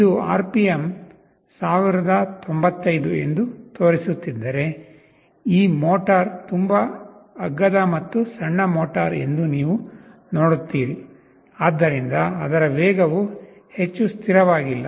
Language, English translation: Kannada, If it is showing the RPM is 1095, you see this motor is a very cheap and small motor, so its speed is not very stable